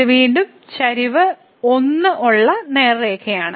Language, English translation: Malayalam, So, it is again the straight line with slope 1